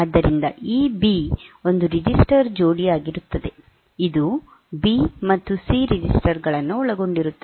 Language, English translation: Kannada, So, for this B, B is as A register pair it consists of the registers B and C